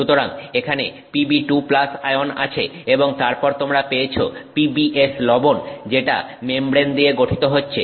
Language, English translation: Bengali, So, pb2 plus ions are present here and then you get PBS salt that is being formed in the membrane